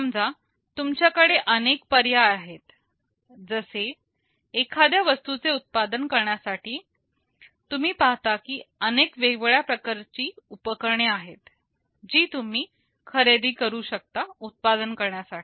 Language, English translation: Marathi, Suppose you have several choices; like to manufacture a product you see that there are several different kind of equipments you can purchase to manufacture them